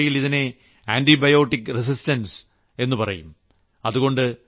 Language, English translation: Malayalam, In medical parlance it is called antibiotic resistance